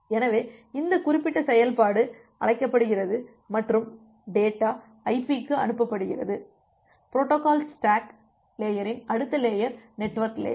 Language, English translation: Tamil, So, this particular function is being called and the data is sent to IP, the next layer of the protocol stack, the network layer of the protocol stack